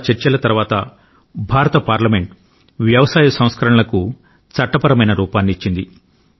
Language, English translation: Telugu, After a lot of deliberation, the Parliament of India gave a legal formto the agricultural reforms